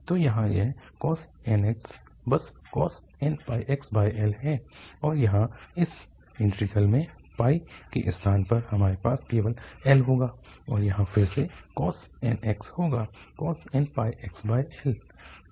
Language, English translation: Hindi, So here this nx will be simply n pi x over L and this integral here instead of pi we will have just L and again here nx will be n pi x over L